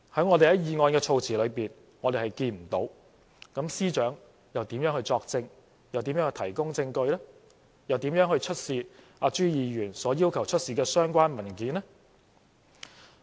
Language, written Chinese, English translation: Cantonese, 我們從議案措辭看不到，那麼司長又如何作證、如何提供證據、如何出示朱議員所要求的相關文件呢？, We cannot see from the wording of the motion . As such how can the Secretary for Justice testify give evidence or show the documents requested by Mr CHU?